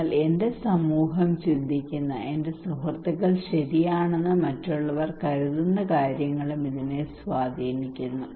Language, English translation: Malayalam, But this is also influenced by what other people think my society thinks, my friends thinks right